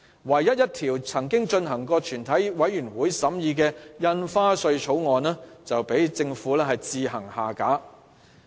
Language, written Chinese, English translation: Cantonese, 唯一一項已進入全體委員會審議的《2017年印花稅條例草案》，卻被政府強行擱置。, The Stamp Duty Amendment Bill 2017 the only bill which has commenced proceedings in committee of the whole Council had been shelved by the Government forcibly